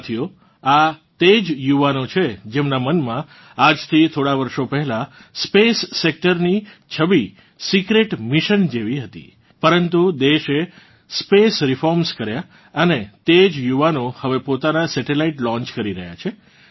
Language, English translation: Gujarati, Friends, these are the same youth, in whose mind the image of the space sector was like a secret mission a few years ago, but, the country undertook space reforms, and the same youth are now launching their own satellites